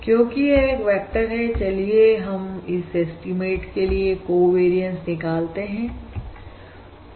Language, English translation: Hindi, Since this is a vector, let us find the covariance of the estimate